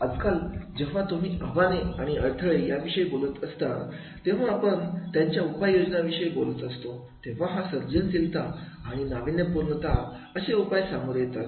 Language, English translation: Marathi, Nowadays whenever we are talking about the challenges and issues when we are talking about the solutions and in the solutions are with the creativity and innovation